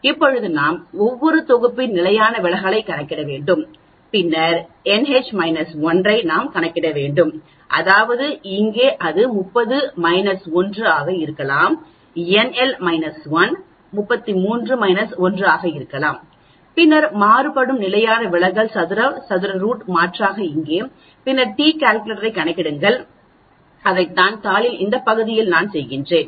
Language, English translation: Tamil, Now we need to calculate the standard deviation of each set, then we need to calculate this n H minus 1, that means here it could be 30 minus 1, n L minus 1 could be 33 minus 1 then standard deviation square that is variance take the square root substitute here and then calculate the t calculator and that is what I am doing in this part of the sheet